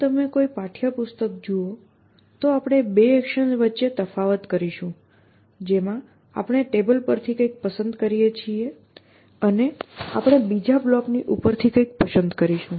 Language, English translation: Gujarati, So, if you look at any text book, we use that we will distinguish between the 2 actions in which we pickup something from the table and we pick up something from top of another